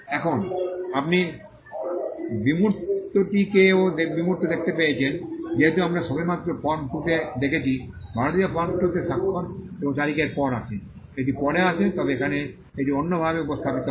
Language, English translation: Bengali, Now, you find the abstract also the abstract as we had just seen in form 2 comes after the signature and date in the Indian form 2, it comes after, but here it is presented in a different way